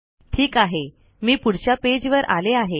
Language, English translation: Marathi, And lets go to the next page